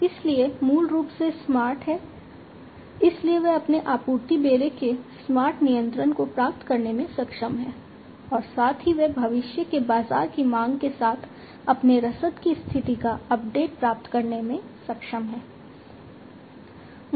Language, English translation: Hindi, So, basically smart so they are able to achieve smart control of their supply fleet, and also they are able to get the status update of their logistics with future market demand